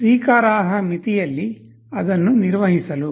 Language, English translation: Kannada, To maintain it within acceptable limits